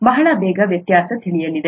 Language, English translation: Kannada, You will know the difference very soon